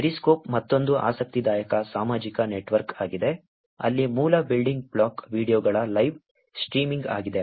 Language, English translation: Kannada, Periscope is another interesting social network, where the basic building block is live streaming of videos